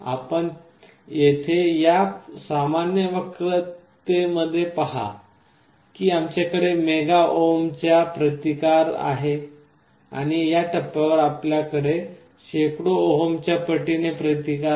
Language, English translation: Marathi, You see in this typical curve here we have a resistance of the order of mega ohms, and on this point we have a resistance of the order of hundreds of ohms